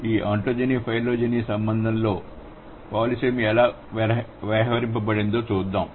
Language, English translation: Telugu, Let's see how the polysamy has been accounted for in this ontogeny phylogeny relation